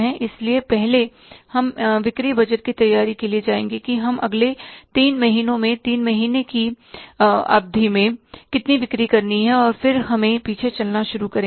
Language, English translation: Hindi, So, we will go for the first preparing the sales budget that how much we want to sell over a period of three months, next three months, and then we will go for the back tracking